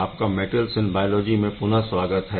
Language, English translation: Hindi, Welcome back to Metals in Biology